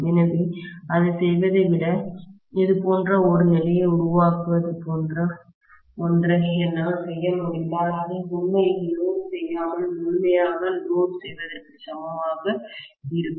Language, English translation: Tamil, So, rather than doing that, if I can do something like create you know such kind of condition which will be equivalent to loading it fully without actually loading it